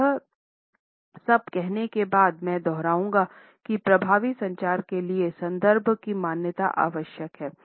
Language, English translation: Hindi, Having said all this, I would reiterate that the recognition of context for effective communication is necessary